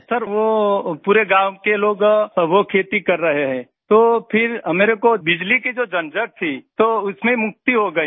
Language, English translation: Hindi, Sir, the people of the whole village, they are into agriculture, so we have got rid of electricity hassles